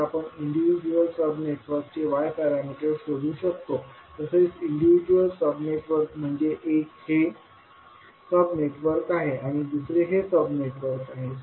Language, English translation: Marathi, We can find the Y parameters of individual sub networks, so individual sub networks means one is this sub networks and another is this sub network